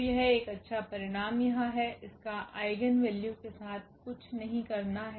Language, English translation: Hindi, So, that is a nice result here, nothing to do with this eigenvalues